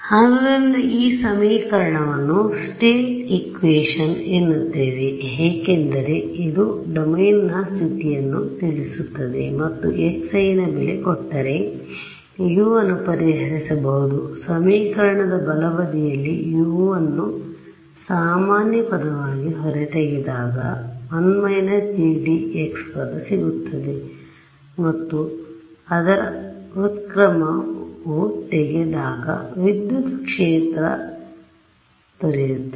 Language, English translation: Kannada, So, we call this what this is given a name is call the state equation because it tells something about the state of the domain and if I am if I if you give me x I can solve for u right I can take u common from the left hand side I will get identity minus G D x which I have to invert and get the electric field right